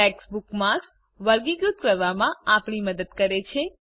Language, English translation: Gujarati, * Tags help us categorize bookmarks